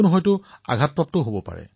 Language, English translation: Assamese, An injury can also occur